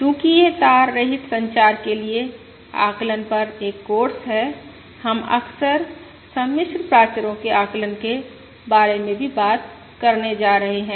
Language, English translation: Hindi, And we are going since this is a course on estimation for wireless communications we are frequently going to talk about the estimation of complex parameters as well